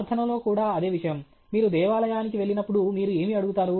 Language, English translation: Telugu, The same thing with prayer; when you go to a temple, what do you ask